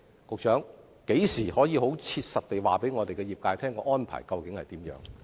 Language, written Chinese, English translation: Cantonese, 局長，何時可以切實地告訴業界有關安排為何？, Secretary when can you tell the industry specifically about the actual arrangement?